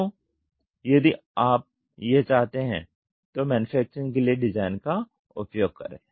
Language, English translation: Hindi, So, if you want to do that use design for manufacturing